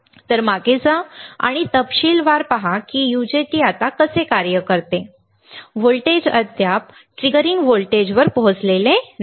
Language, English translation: Marathi, So, go back and see in detail how the UJT works now the voltage is not the yet reached the triggering voltage